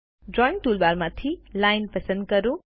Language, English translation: Gujarati, From the Drawing tool bar, select Line